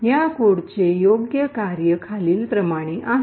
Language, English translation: Marathi, The right working of this code is as follows